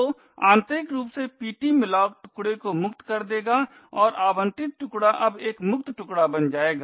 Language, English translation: Hindi, So internally ptmalloc would free the chunk and the allocated chunk would now become a free chunk